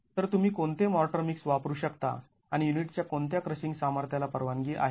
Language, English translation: Marathi, So, it begins from materials, so what motor mix can you use and what crushing strength of unit is permissible